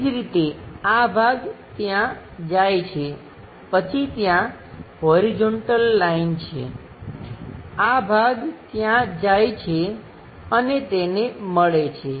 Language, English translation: Gujarati, Similarly, this part goes all the way there, then there is a horizontal line; this part goes all the way there, and touch that